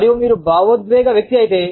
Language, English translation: Telugu, And, if you are an emotional person